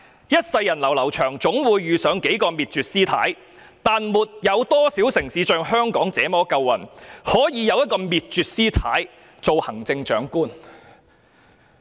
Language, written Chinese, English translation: Cantonese, 一世人流流長，總會遇上幾個滅絕，但沒多少城市像香港那麼夠運，可以有一個滅絕師太做行政長官。, Our life is long enough for us to come across a few Abbesses Miejue but very few cities are as lucky as Hong Kong to have an Abbess Miejue as the Chief Executive